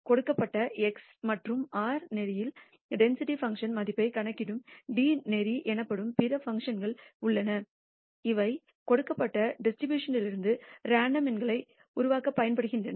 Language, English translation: Tamil, There are other functions called d norm which computes the density function value at a given x and r norm which are used to generate random numbers from this given distribution